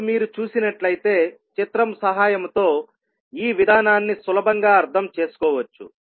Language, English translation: Telugu, Now you can see that this procedure can be easily understood with the help of the figure